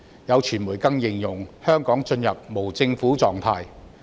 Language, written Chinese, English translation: Cantonese, 有傳媒更形容，香港進入了"無政府狀態"。, Some media even described that Hong Kong has come to a state of anarchy